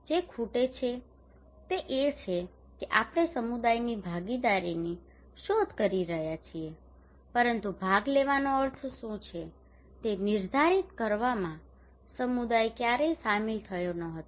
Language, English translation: Gujarati, What is missing is that we are seeking communities participations but community had never been involved in defining what is the meaning of participations